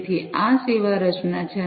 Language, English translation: Gujarati, So, this is the service composition